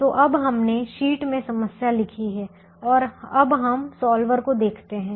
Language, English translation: Hindi, so now we have written the problem in the sheet and we now look at the solver